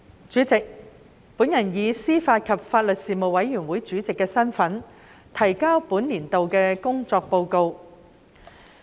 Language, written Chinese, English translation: Cantonese, 主席，我以司法及法律事務委員會主席身份，提交本年度的工作報告。, President in my capacity as the Chairman of the Panel on Administration of Justice and Legal Services the Panel I submit the report on the work of the Panel for the current session